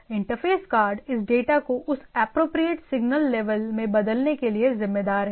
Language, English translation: Hindi, So, that the interface card is responsible to convert this data to that appropriate signal level